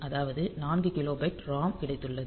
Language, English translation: Tamil, So, you have got 4 kilobyte of ROM